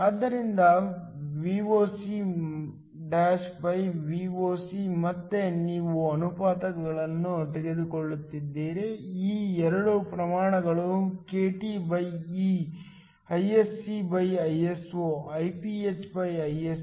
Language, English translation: Kannada, So, Voc'Voc again you are taking the ratio of these two quantities kTe Isc'Iso IphIso